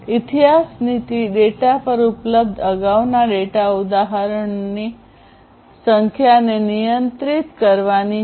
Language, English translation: Gujarati, History policy is about controlling the number of previous data instances available to the data